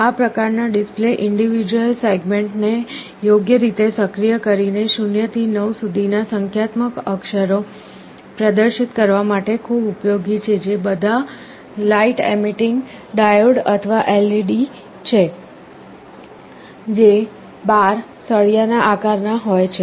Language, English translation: Gujarati, These kind of displays are very useful for displaying numeric characters 0 to 9 by suitably activating these individual segments, which are all light emitting diodes or LEDs, which are shaped in the form of a bar